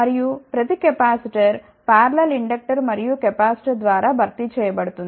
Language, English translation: Telugu, And every capacitor is replaced by parallel inductor and capacitor